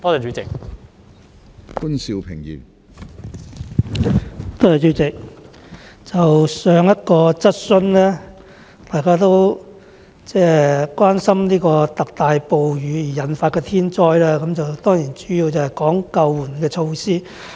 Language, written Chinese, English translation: Cantonese, 主席，在討論上一項質詢時，大家都關心特大暴雨引發的天災，並主要討論救援措施。, President during the discussion on the previous question Members were concerned about the disasters caused by torrential rainstorms and the discussion was focused on rescue measures